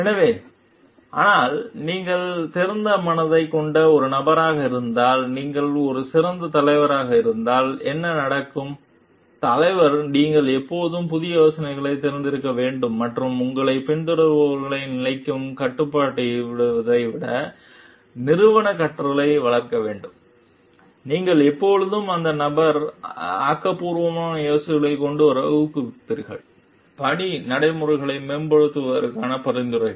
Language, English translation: Tamil, So, but if you are a effective leader, if you are a person who has an open mind, then what happens like as leader you should always be open to new ideas and foster organizational learning and rather than restricting your followers to the status quo, you will always encourage that person to come up with creative ideas, suggestions for improving the work practices